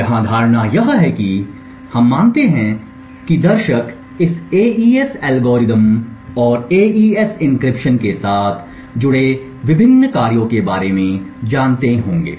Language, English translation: Hindi, The assumption here is that the viewers know about this AES algorithm and the various operations that are involved with an AES encryption